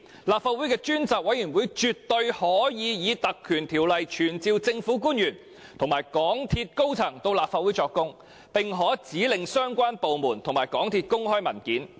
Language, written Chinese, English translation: Cantonese, 立法會的專責委員會絕對可根據《條例》傳召政府官員和港鐵公司高層到立法會作供，並可指令相關部門和港鐵公司公開文件。, It can definitely invoke the Ordinance to summon government officials and MTRCLs senior officers to testify in the Legislative Council and direct relevant departments and MTRCL to make public relevant documents